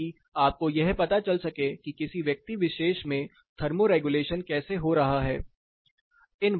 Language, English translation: Hindi, So, that you get a fair idea about what thermoregulation is happening in a particular person